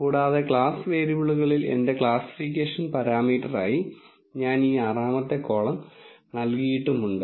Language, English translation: Malayalam, And in the class variables, I have given this 6th column as my classification parameter